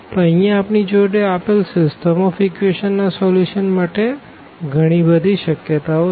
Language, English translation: Gujarati, So, here we have infinitely many possibilities for the solution of the given system of equations